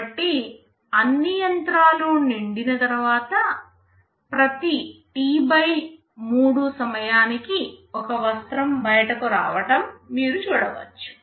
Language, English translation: Telugu, So, you see after all the machines are all filled up, every T/3 time one cloth will be coming out